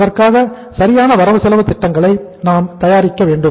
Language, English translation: Tamil, We have to prepare the proper budgets for that